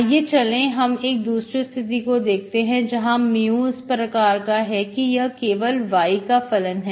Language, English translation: Hindi, So now let us see other situation where such a mu, we, suppose we look for mu as a function of y alone